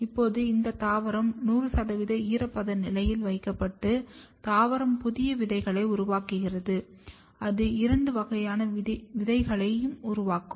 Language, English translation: Tamil, Now, this plant is placed under 100 percent humidity condition and once the plant forms the new seeds, it can have both the kinds of seed